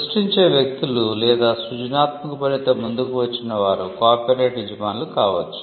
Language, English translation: Telugu, People who create or who come up with creative work can be the owners of copyright